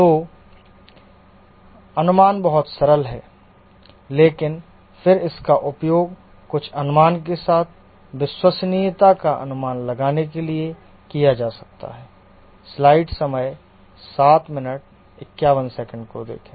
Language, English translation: Hindi, So the assumptions are too simple but then this can be used to predict reliability with some approximation